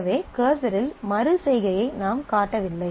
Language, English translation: Tamil, So, we have not shown the iteration on the cursor